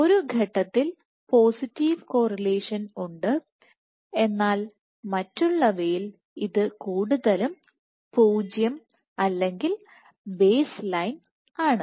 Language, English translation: Malayalam, So, suggest that there is at one point there is a positive correlation at other points is mostly 0 or baseline